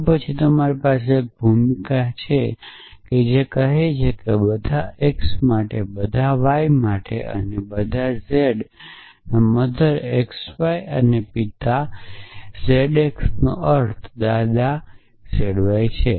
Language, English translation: Gujarati, Then you could have a role which says a for all x for all y and for all z mother x y and father z x implies grandfather z y